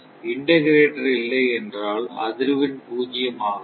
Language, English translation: Tamil, But if we, integrator is not there, those frequency will not be zero